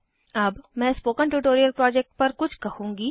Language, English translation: Hindi, I will now talk about the spoken tutorial project